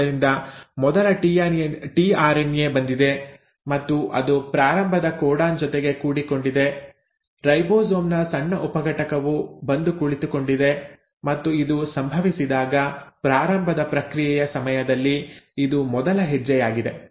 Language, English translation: Kannada, So the first tRNA has come and it has docked itself onto the start codon, the small subunit of ribosome has come in sitting, and now when this happens, this is the first step during the process of initiation